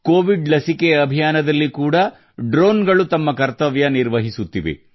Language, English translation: Kannada, Drones are also playing their role in the Covid vaccine campaign